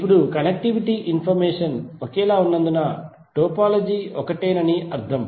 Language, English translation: Telugu, Now since connectivity information is same it means that topology is same